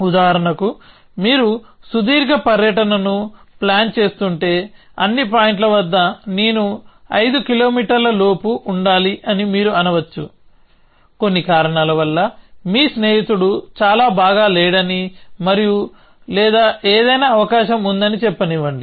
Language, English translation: Telugu, So, for example, if you are planning a long trip, you might say that that at all points I must be within 5 kilometer, some reason let us say your friend is not too well and or susceptible something